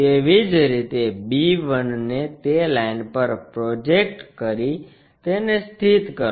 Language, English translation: Gujarati, Similarly, project b 1 onto that line locate it